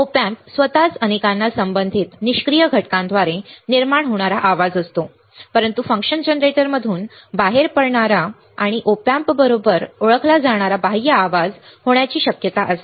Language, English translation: Marathi, Op amp itself many have noise generated by the associated passive components, but there is a possibility of a external noise that comes out of the function generator and is introduced to the op amp all right